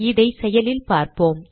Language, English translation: Tamil, Let us now see it in action